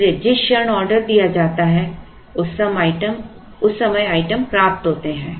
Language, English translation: Hindi, So, the moment the order is placed the items are received